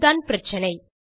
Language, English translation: Tamil, Thats the problem